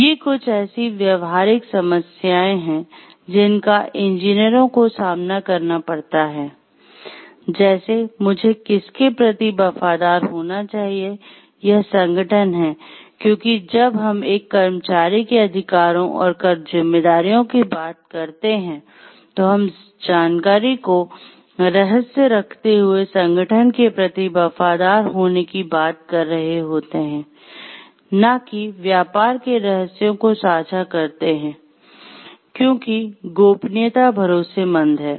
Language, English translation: Hindi, These are some practical problems that engineers may be facing; like who should I be loyal to, it is the organization, because when we talking of a employees rights and responsibilities, we are talking of being loyal to the organization keeping secrets of information, not divulging trade secrets, confidentiality, trustworthiness